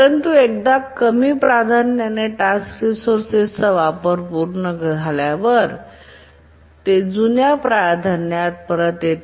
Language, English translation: Marathi, But then once the low priority task completes its users of the resource, it gets back to its older priority